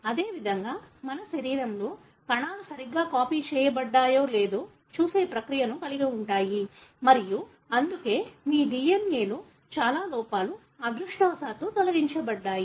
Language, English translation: Telugu, Similarly, in our body, cells have process which look through whether it is copied properly or not and that is why most of the errors are removed in your DNA, fortunately